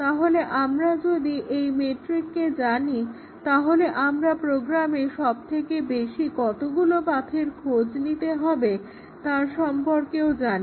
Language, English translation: Bengali, So, if we can compute the McCabe’s metric it tells us at least how many test cases will be required to achieve path coverage